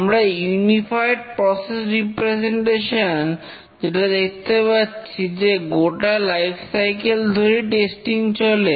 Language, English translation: Bengali, As you can see in the unified process representation here, the testing is actually carried out over the lifecycle